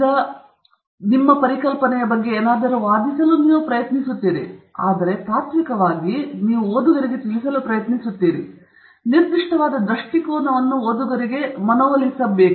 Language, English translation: Kannada, And sometimes, in the process of informing the reader, you are also trying to argue something about that concept that you have presented, but in principle you are trying to inform the reader, may be persuade the reader about a particular point of view